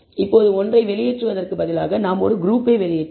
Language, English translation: Tamil, Now instead of leaving one out, we will leave one group out